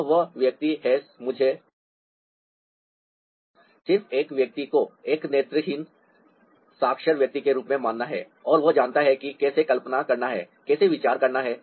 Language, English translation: Hindi, let me just ah consider this person as a visually literate person, and he knows how to imagine, how to think visually